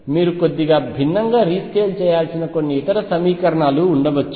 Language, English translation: Telugu, They could be some other equations where you have to rescale slightly differently